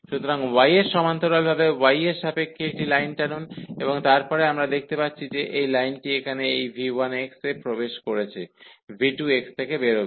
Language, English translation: Bengali, So, of with respect to y draw a line this parallel to y and then we see that this line here enters at this v 1 x and go out at v 2 x